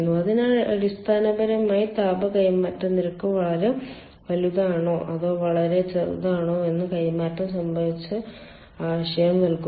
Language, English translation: Malayalam, so basically it gives idea regarding the transfer, whether the rate of heat transfer will be very large or very small, something like that